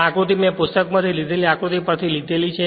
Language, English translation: Gujarati, This diagram I have taken from a figure right taken from a book right